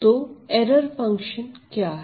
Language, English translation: Hindi, So, what is error function